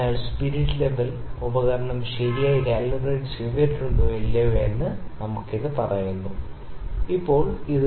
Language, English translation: Malayalam, So, this will tell us that is the spirit, this instrument properly calibrated or not